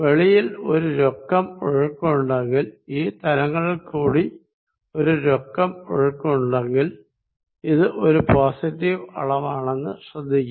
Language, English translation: Malayalam, If there is a net flow outside, if there is a net flow through the surfaces, notice that this is positive quantity